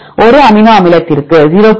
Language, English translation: Tamil, 05 for 1 amino acid 0